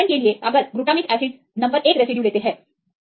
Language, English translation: Hindi, So, example if we take the glutamic acids right residue number one